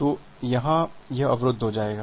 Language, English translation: Hindi, So, it is it will get blocked here